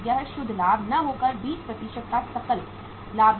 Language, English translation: Hindi, It is a gross profit of 20% not the net profit